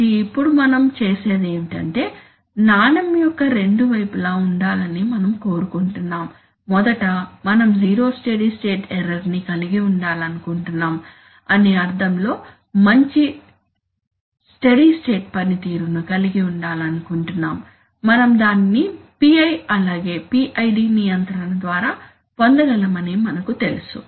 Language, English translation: Telugu, So now what we do is that, we want to have both sides of the coin, we firstly, we want to have good steady state performance in the sense that we want to have zero steady state error, we know that we can get PI, we can get it from PI as well as PID control